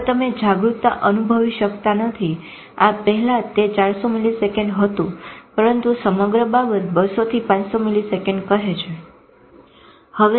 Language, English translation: Gujarati, Now you cannot realize conscious before this is 400 milliseconds but the whole thing say 200 to 500 milliseconds